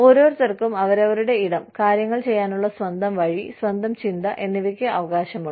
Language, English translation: Malayalam, Everybody has a right, to their own space, to their own way of doing things, to their own thinking